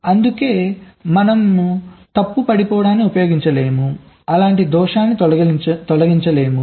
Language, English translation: Telugu, thats why we cannot use fault dropping, we cannot remove a fault just like that